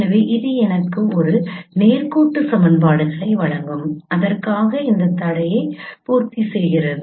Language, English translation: Tamil, So this will give me a set of linear equations to for which satisfies this constraint